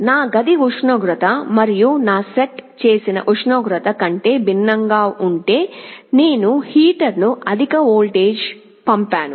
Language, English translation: Telugu, If I see my room temperature and my set temperature is quite different, I sent a high voltage to the heater